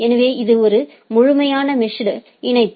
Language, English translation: Tamil, So, it is a fully mesh connection